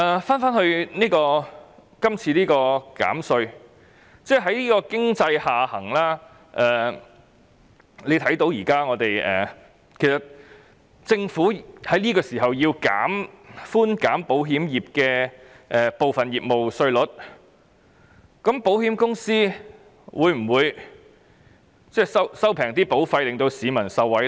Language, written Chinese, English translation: Cantonese, 關於這項有關減稅的條例，在經濟下行的情況下，政府現在建議寬減保險業部分業務稅率，保險公司在這方面得益後，會否將保費下調讓市民受惠？, Regarding this piece of legislation on tax reduction amid economic downturn the Government now proposes to reduce the tax rate for some insurance businesses . After insurance companies have gained benefits will they lower their insurance premiums to benefit members of the public?